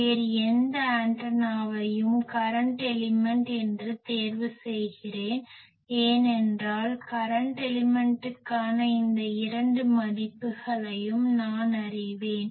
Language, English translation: Tamil, Let me choose that any other antenna to be current element, because I know these two value for the current element